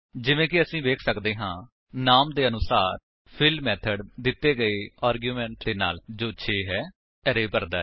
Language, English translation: Punjabi, As we can see, as the name goes, the fill method fills the array with the given argument i.e 6